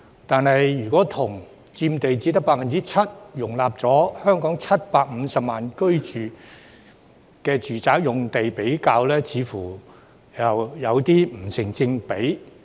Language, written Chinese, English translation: Cantonese, 但是，如果與佔地只得 7%、容納香港750萬人居住的住宅用地比較，似乎又不成正比。, Nevertheless it seems to be out of proportion when compared with the residential land which occupies only 7 % of Hong Kongs land area and accommodates a local population of 7.5 million